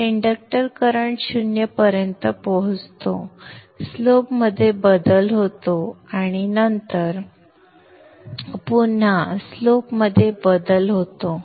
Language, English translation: Marathi, So the inductor current reaches zero, there is a change in the slope and then again change in the slope